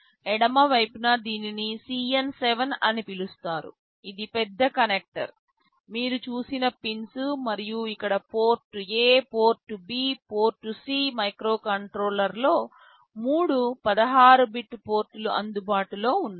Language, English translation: Telugu, On the left side this is called CN7, this is the big connector, those pins you have seen, and here the Port A, Port B, Port C there are three 16 bit ports which are available in the microcontroller